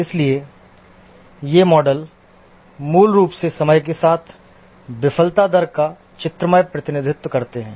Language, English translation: Hindi, So these models are basically graphical representation of the failure rate over time